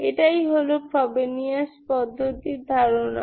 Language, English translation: Bengali, That's the idea of the Frobenius method